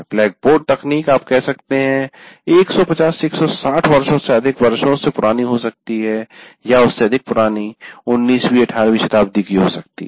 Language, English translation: Hindi, The blackboard technology you can say goes more than 150, 160 years or many more years, right into the 19th century, 18th century